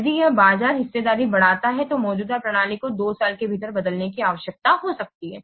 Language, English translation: Hindi, If it's a market share increases, then the existing system might need to be replaced within two years